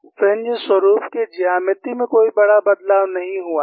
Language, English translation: Hindi, There is no major change in the geometry of the fringe pattern